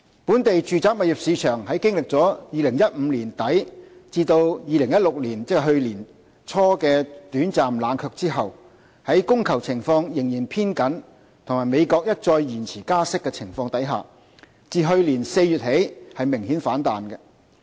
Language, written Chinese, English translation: Cantonese, 本地住宅物業市場在經歷2015年年底至2016年，即去年年初的短暫冷卻後，在供求情況仍然偏緊及美國一再延遲加息的情況下，自去年4月起明顯反彈。, After a brief period of cooling down from late 2015 to early 2016 ie . last year the local residential property market has staged a sharp rebound since last April amidst a still tight demand - supply situation and repeated delays in the United States interest rate hike